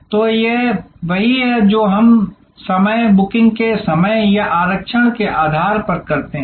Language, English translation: Hindi, So, this is what we do fencing based on time, time of booking or reservation